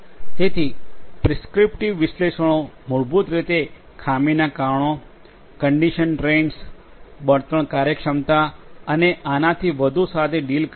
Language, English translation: Gujarati, So, prescriptive analytics basically deals with fault causes, condition trains, fuel efficiency and so on